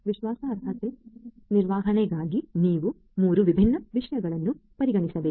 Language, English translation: Kannada, For trustworthiness management, you have to consider these different 3 different things